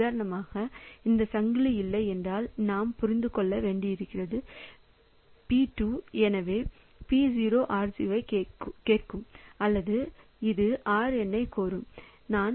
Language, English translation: Tamil, For example if this chain was not there then what we can understand is that P2, so P0 is requesting for R0 or say this is requesting for RN